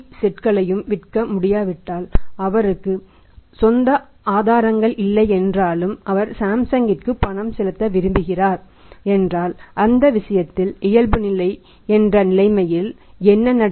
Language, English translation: Tamil, But if he could not sell all the 100 TV sets in the market and if he does not have the own recourses also like to make the payment back to Samsung in that case what will happen there is the situation of default